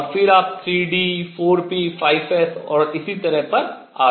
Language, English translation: Hindi, And then you come to 3 d, 4 p, 5 s and so on